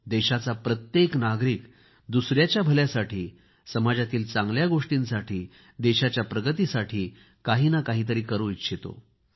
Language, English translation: Marathi, Every citizen of the country wants to do something for the benefit of others, for social good, for the country's progress